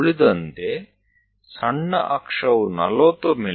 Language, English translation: Kannada, The other one minor axis is at 40 mm